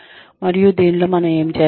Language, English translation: Telugu, And, in this, what do we do